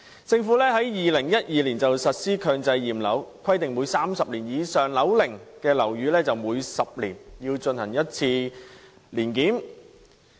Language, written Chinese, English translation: Cantonese, 政府在2012年實施強制驗樓計劃，規定30年以上樓齡的樓宇每10年須進行一次年檢。, The Government implemented the Mandatory Building Inspection Scheme MBIS in 2012 . Under MBIS owners of buildings aged 30 years or above are required to carry out an inspection once every 10 years